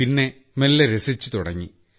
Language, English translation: Malayalam, Then slowly, now it is starting to be fun